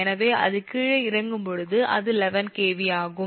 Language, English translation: Tamil, so when it is step down it is eleven kv